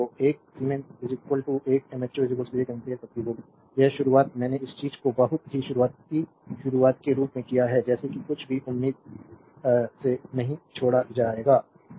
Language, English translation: Hindi, So, 1 siemens is equal to 1 mho is equal to 1 ampere per volt this starting I have started this thing from the very you know beginning such that such that nothing will be left out hopefully, right